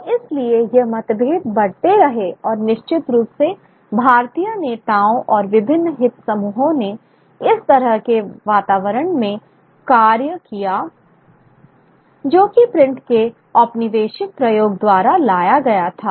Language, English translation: Hindi, And therefore, these differences kept on growing till, and certainly Indian leaders and various interest groups played into this, into the kind of atmosphere that was brought about by the colonial application of print